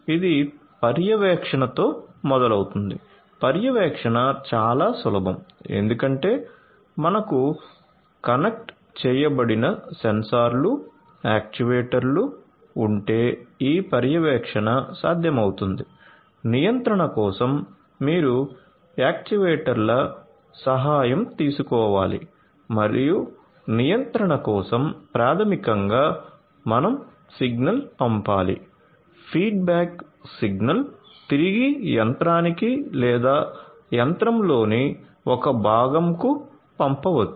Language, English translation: Telugu, So, you know it is starts with monitoring, monitoring is very simple because you know if you have the you know connected sensors, actuators it is you know just the sensors you know if you have connected sensors then this monitoring would be possible, for the control you need to take help of the sensor of the actuators and for the control basically you need to send a signal a feedback signal back to the machine or a component in the machine